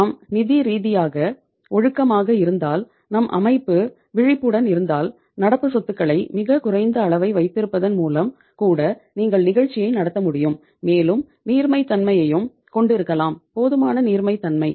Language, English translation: Tamil, That if we are financially disciplined and if we are vigilant organization then even by keeping a very low level of the current assets you can run the show and can say have the liquidity also, sufficient liquidity